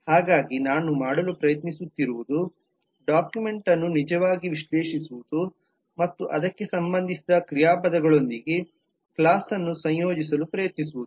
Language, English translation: Kannada, so what i am trying to do is actually analyze the document and trying to associate the class with the verbs that can get related to it